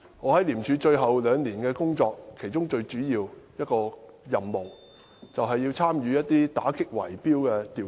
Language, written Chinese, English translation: Cantonese, 我在廉署最後兩年的工作，其中一項最主要的任務是參與打擊圍標的調查。, During the last two years of my work in ICAC one of my main tasks was to participate in investigations into bid - rigging